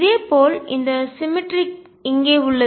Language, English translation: Tamil, Similarly it is this symmetry out here